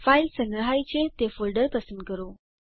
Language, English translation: Gujarati, Choose the folder in which the file is saved